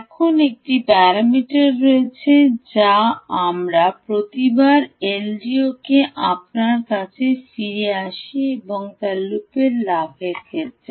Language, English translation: Bengali, now there is one parameter which we keep sort of coming back to you each time on the ah l d o and that is with respect to the ah loop gain